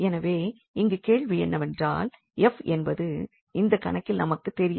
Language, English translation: Tamil, And the question is what is f f is unknown basically in this problem